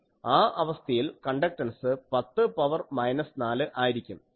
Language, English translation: Malayalam, 1, in that case conductance is 10 to the power minus 4